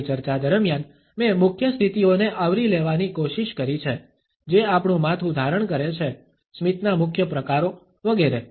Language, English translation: Gujarati, During my discussion, I have tried to incorporate the major positions, which our head takes, the major types of smiles, etcetera